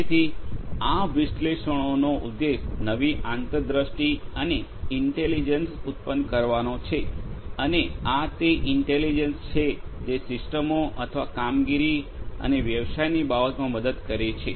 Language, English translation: Gujarati, So, the purpose of this analytics is to generate new insights and intelligence, and this is this intelligence which helps in terms of the systems or the operations and business